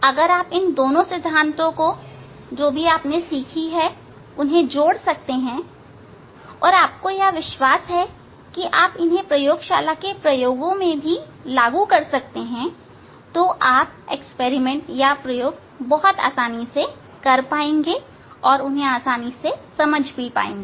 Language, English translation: Hindi, If we can combine these two these theory whatever we have learned and if you believe that you are going to implement in the laboratory for doing the experiment then you can do the experiment easily, you can understand the experiment easily